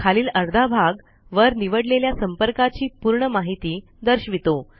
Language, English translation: Marathi, The bottom half displays the complete details of the contact selected at the top